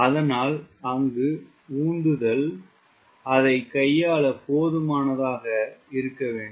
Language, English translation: Tamil, so thrust should be good enough to handle this